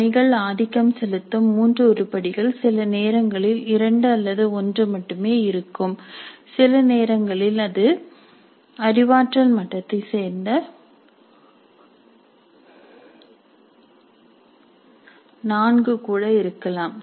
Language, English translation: Tamil, So, assignments dominantly will have up to three items, sometimes only two or even one, sometimes it may be even four belonging to the cognitive level apply